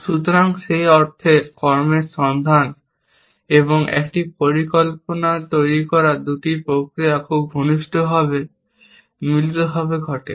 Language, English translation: Bengali, So, in that sense, the two processes of looking for actions and constructing a plan, happens very in a closely coupled fashion